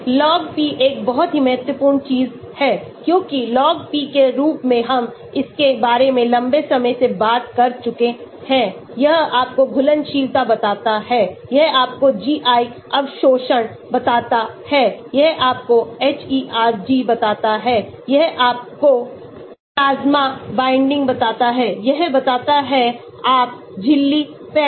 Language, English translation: Hindi, Log p is a very important thing, because log p as we have talked about it long time bac,k it tells you the solubility, it tells you the GI absorption, it tells you the hERG, it tells you the plasma binding, it tells you the membrane penetration